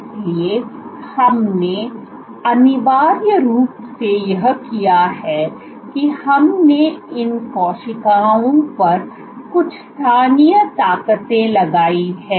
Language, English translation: Hindi, So, what essentially we have done is we have exerted some local forces on these cells